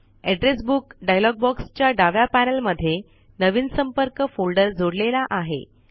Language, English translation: Marathi, In the left panel of the Address Book dialog box, a new folder contacts has been added